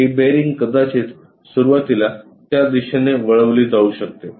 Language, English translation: Marathi, This bearing might be initially turned in that direction